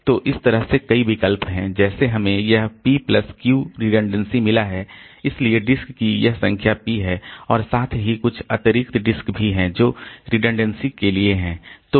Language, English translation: Hindi, So, in this way there are a number of such alternative like we have got this p plus q redundancy so this p number of disc are there plus there are some additional disks so which are for the redundancy